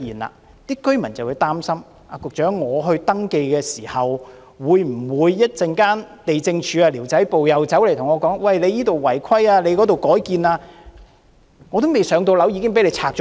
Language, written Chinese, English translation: Cantonese, 這些居民擔心在登記後，地政總署的寮屋管制辦事處會說他們這裏違規，那裏改建，結果他們還未"上樓"，房屋便被拆掉。, These residents worry that the Squatter Control Offices of the Lands Department will tell them upon their registration that their huts have unauthorized structures and alternations here and there . In the end their huts will be demolished before they are allocated a public housing unit